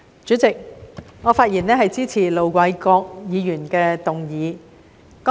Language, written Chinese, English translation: Cantonese, 主席，我發言支持盧偉國議員的議案。, President I speak in support of Ir Dr LO Wai - kwoks motion